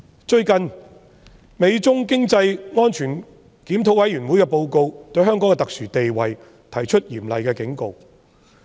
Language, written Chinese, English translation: Cantonese, 最近，美中經濟與安全審議委員會的報告就香港的特殊地位提出嚴厲警告。, The United States - China Economic and Security Review Commission has made a severe warning in respect of the special status of Hong Kong in its recent report